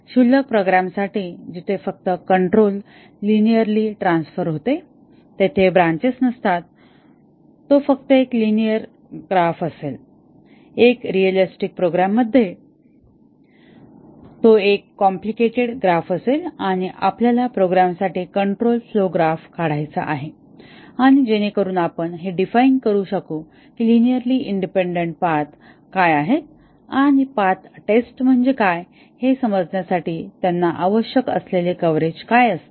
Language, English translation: Marathi, For a trivial program, where only linear transfer of control takes place, there are no branches, it will be just a linear graph, whereas in realistic programs it will be a complicated graph and we want to draw the control flow graph for a programs, so that we can define what are the linearly independent paths and the coverage required on them to be able to understand what is meant by path testing